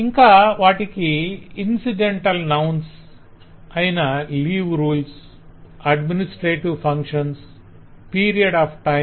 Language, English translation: Telugu, then there are lot of incidental nouns like leave, rules, administrative functions, period of time